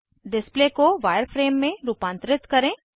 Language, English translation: Hindi, * Modify the display to wireframe